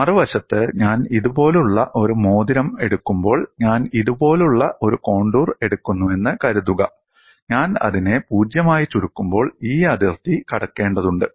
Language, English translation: Malayalam, On the other hand when I take a ring like this, suppose I take a contour like this, when I shrink it to 0, I have necessarily crossed this boundary